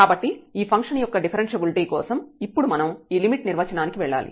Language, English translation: Telugu, So, for the differentiability of this function we need to now go to this limit definition